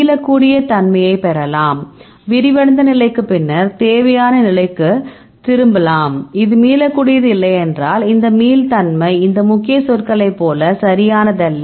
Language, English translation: Tamil, Then you can get reversibility right we can unfolded state and, then you can return back to unfolded state that you say, this is reversibility yes, if not this reversibility is no right like this key words right